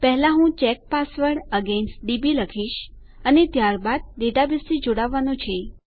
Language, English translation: Gujarati, First I will say check password against db and then we have to connect to our database